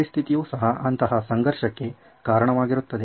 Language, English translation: Kannada, The situation per se is also subjected to such a conflict